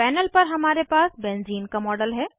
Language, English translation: Hindi, We have a model of benzene on the panel